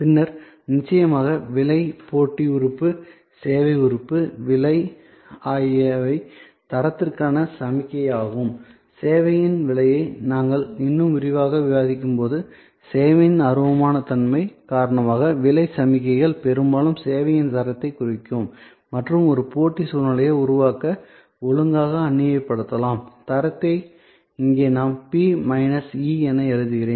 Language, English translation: Tamil, Then there is of course, price, competitive element, service element, price is also signal for quality when we discuss price in more detail, a pricing of service we will say, because of the intangible nature of service often price signals that quality of service and that can be leveraged properly to create a competitive situation, quality here I write P minus E